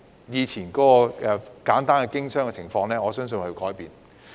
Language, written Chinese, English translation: Cantonese, 以前簡單的經商情況，我相信已有所改變。, I believe the simple business environment of the old days has changed